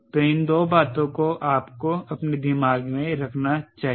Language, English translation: Hindi, so these two things you should keep back of your mind